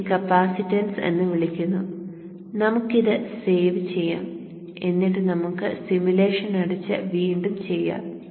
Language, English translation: Malayalam, So this is for the capacitance and let us save this and let us close and redo the simulation